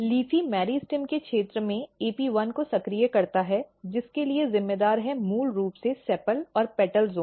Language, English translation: Hindi, So, as I said if you look here LEAFY activate AP1 in the region of the meristem which is responsible for which is basically sepal and petal zone